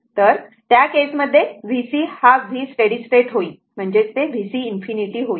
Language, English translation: Marathi, So, in that case v c will be v steady state is equal to same thing v c infinity